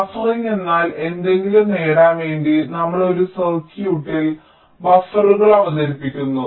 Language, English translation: Malayalam, buffering means we introduce buffers in a circuit in order to achieve something, that something